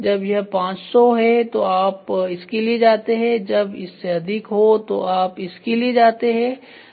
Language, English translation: Hindi, When it is 500 you go for this when it is more than that you go for this